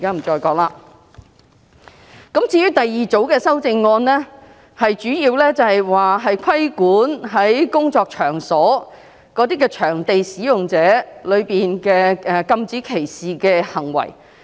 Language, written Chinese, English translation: Cantonese, 至於第二組修正案，則主要規管工作場所的場所使用者，禁止他們作出歧視行為。, Regarding the second group it is mainly about regulating workplace participants to prohibit discrimination